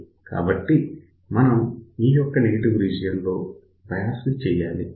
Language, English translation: Telugu, So, we have to bias in this particular negative region